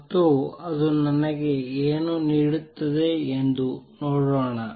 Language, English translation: Kannada, And let us see what is that give me